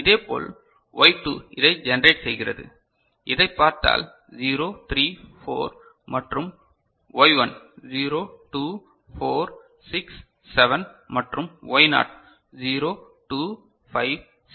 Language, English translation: Tamil, Similarly Y2 is generating this if you look at 0 3 4 and 7, Y1 0 2 4 6 7 and Y naught is 0 2 5 6, is it fine